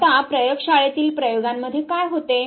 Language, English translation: Marathi, Now in lab experiments what happen